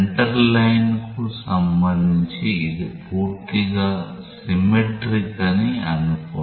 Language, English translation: Telugu, Assume that it is totally symmetric with respect to the center line